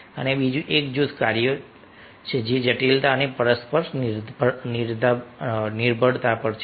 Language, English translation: Gujarati, and the other one is group tasks, that is, complexity and interdependence